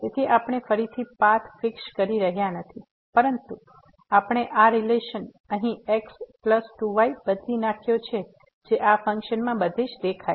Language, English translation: Gujarati, So, we are not fixing again the path, but we have substituted this relation here plus 2 which appear everywhere in this function